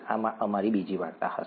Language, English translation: Gujarati, This is going to be our second story